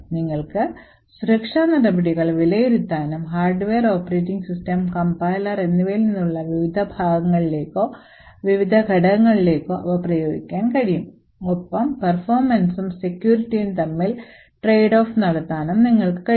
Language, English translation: Malayalam, You would be able to evaluate security measures and apply them to various parts or various components from the hardware, operating system and the compiler and also you would be able to trade off between the performance and security